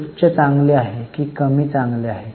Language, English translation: Marathi, Higher is good or lower is good